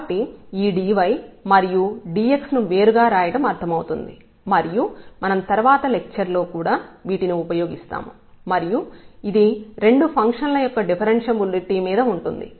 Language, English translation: Telugu, So, writing this dy and dx separately makes sense and that we will also use now in the in the in the next lecture which will be on the differentiability of the two functions